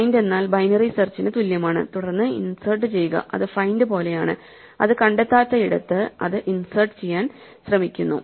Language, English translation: Malayalam, So, find is the one which is equivalent to binary search then insert is like find and there it where it does not find it tries to insert